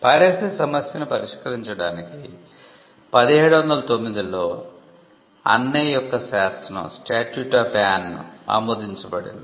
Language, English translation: Telugu, And we find that the statute of Anne was passed in 1709 to tackle the issue of piracy